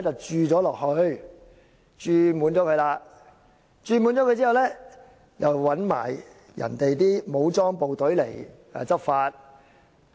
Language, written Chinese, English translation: Cantonese, 注滿這個"洞"後，還找來人家的武裝部隊來執法。, After the hole is filled up armed forces from China will be dispatched to Hong Kong to enforce law